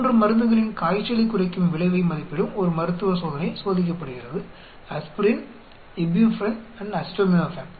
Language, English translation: Tamil, A clinical trial evaluating the fever reducing effect of 3 drugs are tested aspirin, ibuprofen and acetaminophen